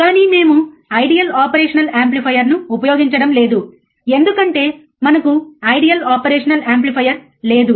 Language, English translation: Telugu, But we are not going to use an ideal operational amplifier, because we do not have ideal operational amplifier